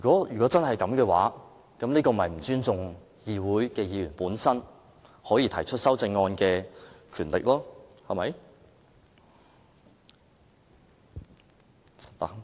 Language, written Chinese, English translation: Cantonese, 如果真是這樣，這便是不尊重議會議員提出修正案的權力，對嗎？, If that is truly the case the Government disrespects Members power to propose amendments is that right?